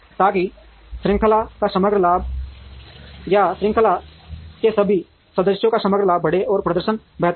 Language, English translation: Hindi, So, that the overall profits of the chain or the overall profits of all the members of the chain increases and the performance gets better